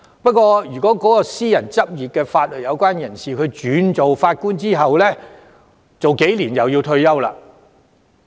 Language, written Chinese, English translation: Cantonese, 不過，私人執業的法律界人士轉任法官後數年便要退休了。, However legal professionals from the private sector have to retire only a few years after taking up judicial positions